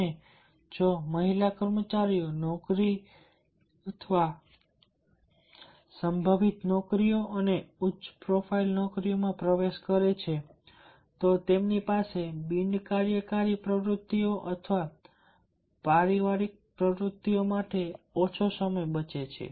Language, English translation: Gujarati, and if the famil, if the female employees are entering into the jobs, potential jobs and the high profile jobs, then they are left with less time for the non work activities or for the family activities